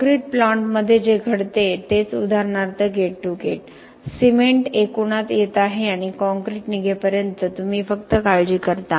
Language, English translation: Marathi, Only what happens within the concrete plant for example would be gate to gate, cement is coming in aggregates are coming in and you only worry about until when the concrete leaves